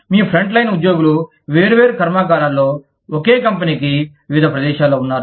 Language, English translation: Telugu, You have front line employees, in different factories, of the same company, in different places